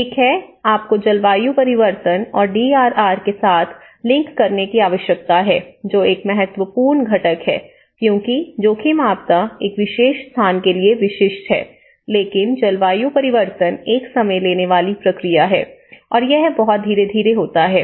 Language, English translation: Hindi, One is, you need to link with the climate change and DRR, that is an important component because risk disaster, risk is specific to a particular place but climate change, it is a time taking process and it is very gradual, right